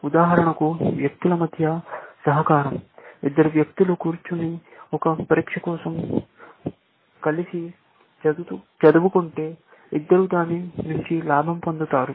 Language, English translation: Telugu, For example, cooperation between people, if two people sit down and study together for an exam, then both of them gains from it, essentially